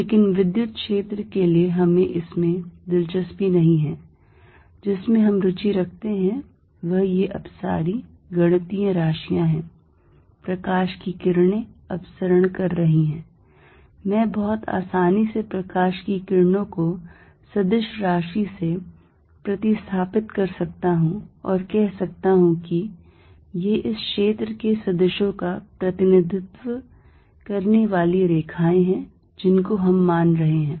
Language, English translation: Hindi, But, for electric field we are not going to be interested in this, what we are interested is this diverging mathematical quantities, light rays are diverging I could very well placed light rays by vector field and say these are the lines representing vectors of this field we are considering